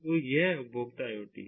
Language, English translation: Hindi, so, ah, this is consumer iot